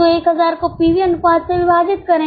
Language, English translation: Hindi, So, 1,000 divided by PV ratio